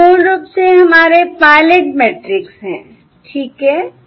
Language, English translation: Hindi, okay, So this is basically our pilot matrix